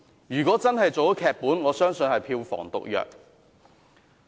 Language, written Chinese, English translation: Cantonese, 如果真的拍成電影，我相信會是票房毒藥。, If the drama is really adapted into a movie it will definitely have a very poor box office receipt